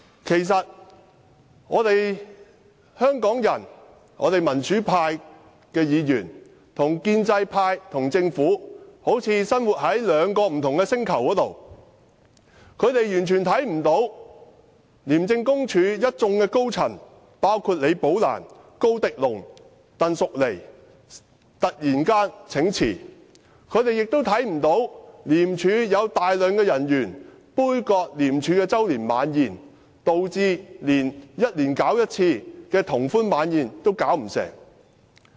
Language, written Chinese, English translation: Cantonese, 其實，香港市民和民主派議員與建制派和政府好像生活在兩個不同的星球，他們完全看不到廉署高層，包括李寶蘭、高迪龍及鄧淑妮突然請辭，他們亦看不到廉署大批人員杯葛廉署的周年晚宴，導致每年舉辦一次的聯歡晚宴也辦不成。, In fact it seems that members of the public and democratic Members live in a planet totally different from that of the pro - establishment camp and the Government . The latter have simply failed to notice the sudden resignation of senior ICAC officials including Rebecca LI Dale KO and TANG Shuk - nei and the boycott of ICACs annual dinner by a large number of ICAC staff leading to its cancellation